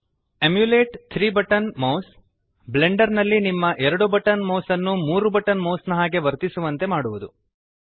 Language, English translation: Kannada, Emulate 3 button mouse will make your 2 button mouse behave like a 3 button mouse in Blender